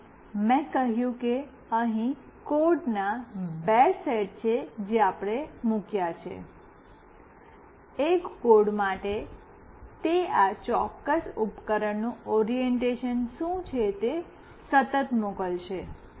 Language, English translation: Gujarati, And I said there are two set of codes that we have put; for one code it will continuously send what is the orientation of this particular device